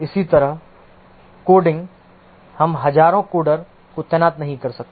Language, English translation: Hindi, Similarly, coding, we cannot deploy thousands of coders